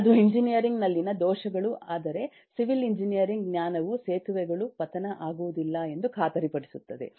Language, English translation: Kannada, that’s faults in engineering, but the civil engineering knowledge guarantees that the bridges will not fall